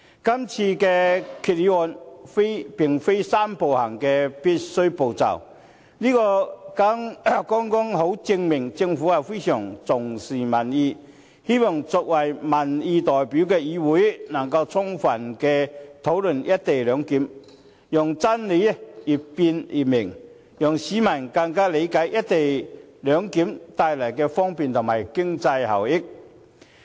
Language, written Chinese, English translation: Cantonese, 今次的議案並非"三步走"的必須步驟，但這剛好證明，政府非常重視民意，希望作為民意代表的議會能夠充分討論"一地兩檢"，讓真理越辯越明，讓市民更理解"一地兩檢"所帶來的方便和經濟效益。, The motion this time around is not part of the necessary step of the Three - step Process but it can show that the Government attaches a great deal of importance to public opinions . It is hoped that the legislature which represents public opinions can thoroughly discuss the co - location arrangement so that the more the truth is debated the clearer it will become and the public may understand the convenience and economic efficiency brought by the co - location arrangement